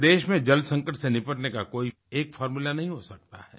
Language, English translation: Hindi, There cannot be a single formula for dealing with water crisis across the country